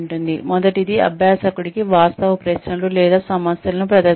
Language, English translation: Telugu, The first one is, presenting questions, facts, or problems, to the learner